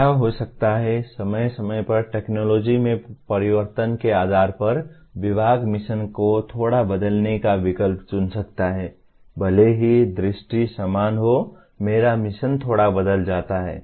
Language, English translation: Hindi, What may happen, from time to time depending on the change in technology, the department may choose to slightly alter the mission even though the vision remains the same, my mission gets altered a little bit